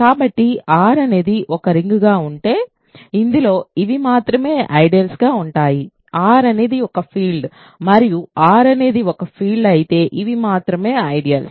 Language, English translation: Telugu, So, if R happens to be a ring in which these are the only ideals then R is a field and if R is a field these are the only ideals ok